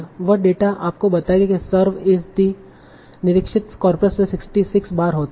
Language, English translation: Hindi, So the data will tell you serve as the inspector occurred 66 times in their corpus